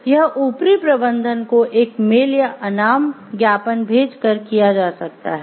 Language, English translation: Hindi, This can be done by sending a mail or an anonymous memo to the upper management